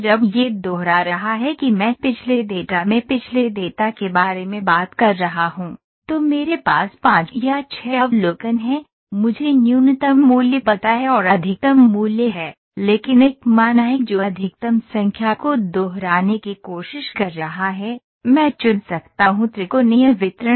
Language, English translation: Hindi, When it is repeating I am talking about the past data in the past data,I have 5 or 6 observations, I know this is the minimum value this is the maximum value, but there is one value which is which is trying to repeat maximum number of times so, I can pick the triangle distribution